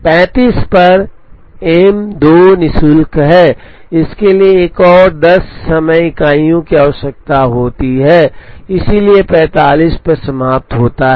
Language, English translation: Hindi, At 35, M 2 is free, it requires another 10 time units, so finishes at 45